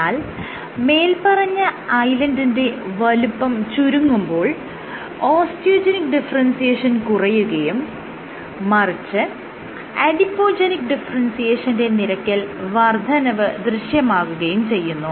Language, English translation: Malayalam, So, bigger the Island size more Osteogenic differentiation less Adipogenic differentiation, smaller the Island size more Adipogenic differentiation less Osteogenic differentiation